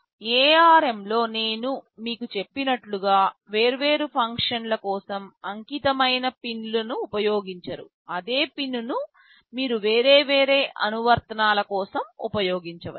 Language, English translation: Telugu, As I told you in ARM the philosophy is that they do not use dedicated pins for different functions, same pin you can use for different applications